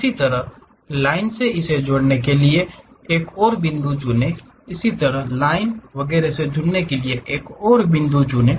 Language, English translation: Hindi, Similarly, pick another point join it by line; similarly, pick another point join it by line and so on